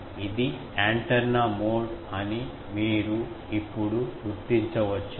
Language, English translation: Telugu, So, you can now identify that this is the antenna mode